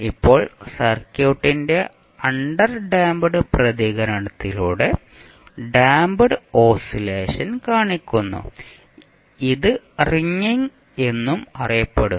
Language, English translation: Malayalam, Now the damped oscillation show by the underdamped response of the circuit is also known as ringing